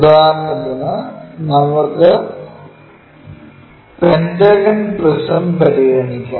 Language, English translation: Malayalam, For example let us consider pentagonal prism